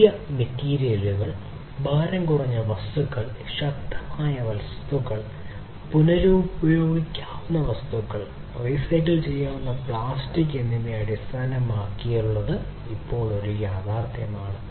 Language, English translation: Malayalam, Newer materials, lighter materials, stronger materials, materials that are recyclable, recyclable plastics are basically a reality now